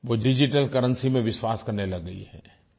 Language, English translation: Hindi, It has begun adopting digital currency